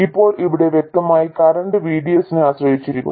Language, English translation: Malayalam, Now here clearly the current very much depends on VDS